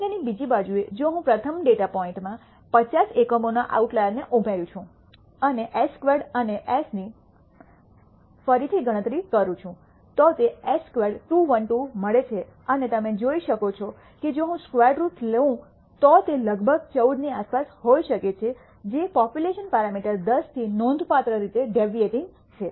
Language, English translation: Gujarati, On the other hand, if I add outlier of 50 units to the first data point and recompute s squared and s, it turns out s squared turns out to be 212 and you can see if I take the square root it might be around 14, which is signficantly deviating from the population parameter 10